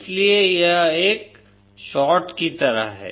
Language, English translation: Hindi, So it is like a short